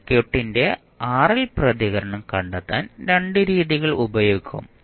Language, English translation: Malayalam, We can use 2 methods to find the RL response of the circuit